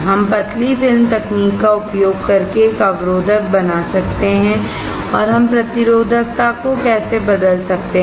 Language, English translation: Hindi, We can make a resistor using thin film technology and how can we change the resistivity